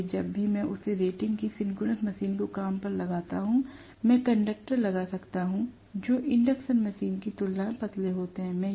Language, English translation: Hindi, So, whenever I employ a synchronous machine of the same rating, I can put conductors which are thinner as compared to the induction machine case